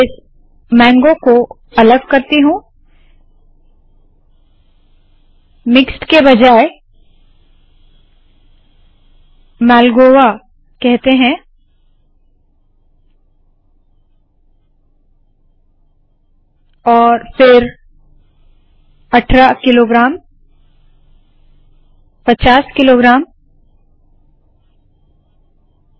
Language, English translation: Hindi, Let me split this mango, instead of mixed let me call this Malgoa, and then 18 kilograms 50 kilograms let me delete this okay